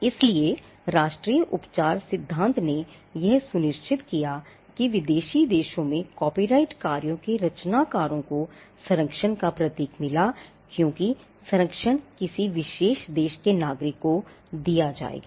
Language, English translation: Hindi, So, national treatment principle ensured that creators of copyrighted work in foreign countries got symbol of protection as a protection would be offered to a citizen of a particular country